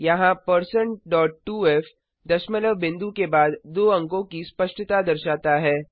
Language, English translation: Hindi, Here#160% dot 2f provides the precision of two digits after the decimal point